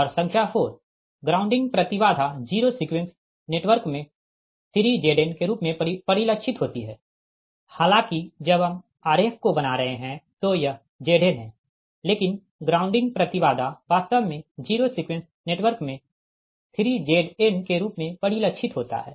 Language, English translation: Hindi, and number four: the grounding impedance is reflected in the zero sequence network as three z n, although when we are drawing the diagram it is z n, but the grounding, your, what you call that grounding impedance, actually reflected in the zero sequence network as three z n